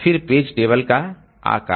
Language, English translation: Hindi, Then the page table size